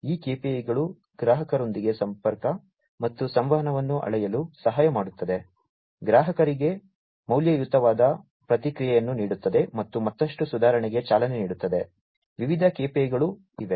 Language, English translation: Kannada, These KPIs also help measure the connectivity and communication with customers, providing valuable feedback to the customers, and driving towards further improvement; so there are different KPIs